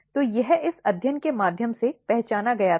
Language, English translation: Hindi, So, this was identified through this study